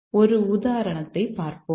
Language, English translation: Tamil, Let's look at this program